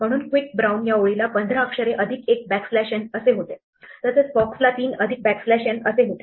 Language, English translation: Marathi, That is why quick brown was 15 letters plus a backslash n, fox was a 3 plus backslash n